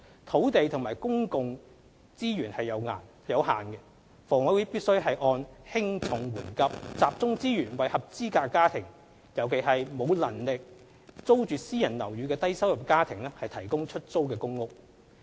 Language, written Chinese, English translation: Cantonese, 土地和公共資源有限，房委會必須按輕重緩急，集中資源為合資格家庭尤其是為沒有能力租住私人樓宇的低收入家庭提供出租公屋。, Given the limited land and public resources HA has to prioritize and focus its resources on providing public rental housing PRH to eligible families especially to the low - income families who cannot afford private rental accommodation